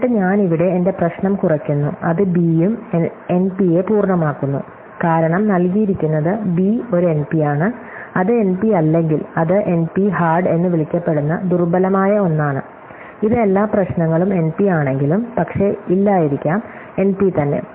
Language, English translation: Malayalam, And then I reduce it my problem here that makes b also NP complete, because provide b is an NP, if it is not an NP, then it is something weaker called NP hard, it is at least a hard every problem NP, but may not be NP itself